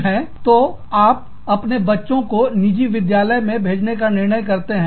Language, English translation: Hindi, So, you decide to send your child, to a private school